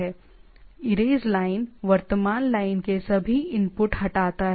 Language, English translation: Hindi, Erase line delete all inputs in the current line right